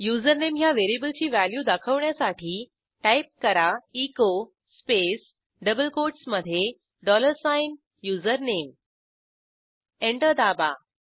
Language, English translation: Marathi, Now type unset space username press Enter Let us check Type echo space within double quotes dollar sign username press Enter